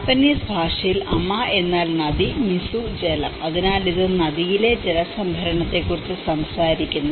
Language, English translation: Malayalam, So, in Japanese Ama means river and mizu is water so, it talks about the river water harvesting